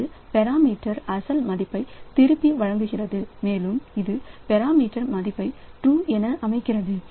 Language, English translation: Tamil, It returns the original value of past parameter and it set the new value of past parameter to true